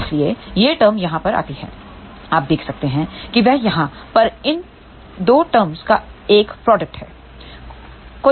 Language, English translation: Hindi, So, hence this term comes over here you can see that is a product of these 2 terms over here